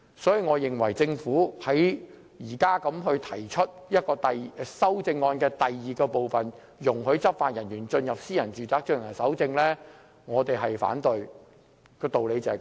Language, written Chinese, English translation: Cantonese, 所以，對於政府現時提出第二組修正案容許執法人員進入私人住宅搜證，我們反對，道理就是這麼簡單而已。, Therefore the reason is simple and we reject the Governments second group of amendment which proposes that law enforcement officers be allowed to enter private premises to collect evidence